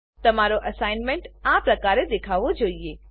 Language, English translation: Gujarati, Your assignment should look similar to this